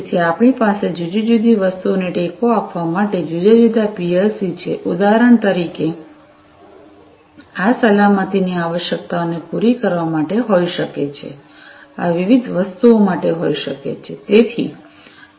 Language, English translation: Gujarati, So, we have different PLC supporting different things for example, this one could be for catering to safety requirements, these ones could be for different other things and so on